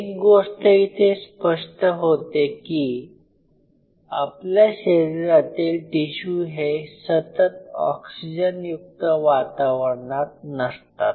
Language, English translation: Marathi, Now, if you realize each one of these tissues which are there in our body, they are not continuously in an oxygenated environment